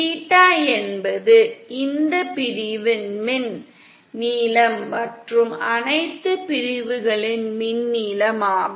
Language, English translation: Tamil, The theta is the electrical length of this section & the electrical length of all the sections